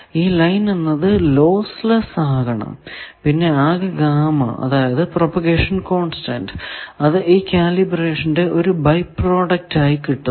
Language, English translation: Malayalam, The line need not be lossless also the whole gamma; that means, the propagation constant into L that thing comes out of as a byproduct of the calibration